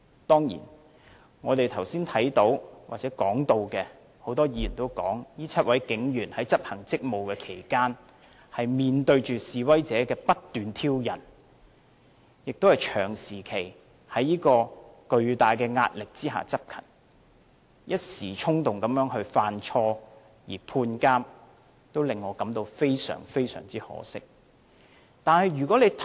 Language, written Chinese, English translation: Cantonese, 當然，剛才很多議員都提到，這7位警員在執行職務期間面對示威者不斷挑釁，長時期在巨大的壓力下執勤，一時衝動犯錯而被判監，令我感到非常可惜。, Of course many Members have mentioned just now that these seven police officers had faced incessant provocations from protesters in their discharge of duties and had been performing duties under immense pressure for a long period of time . Acting on impulse they made mistakes; I feel very sorry about this